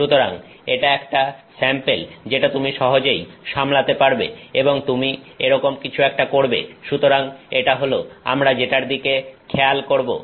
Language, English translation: Bengali, So, that is a sample that you can easily handle and you can do something like so, that is what we are looking at